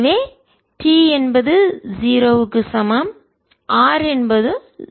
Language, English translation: Tamil, so we have r t is equal to v t